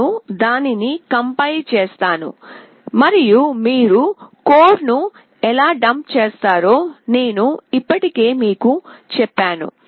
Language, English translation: Telugu, I will just compile it and then I have already told you, how you will dump the code